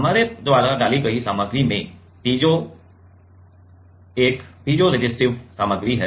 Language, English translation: Hindi, The material we put has a piezo is a piezoresistive material, right